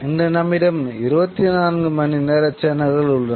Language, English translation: Tamil, Today we have 24 hour channels